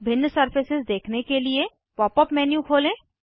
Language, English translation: Hindi, So, open the Pop up menu again, and choose Dot Surface